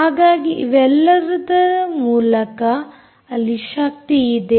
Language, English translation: Kannada, so all through there is power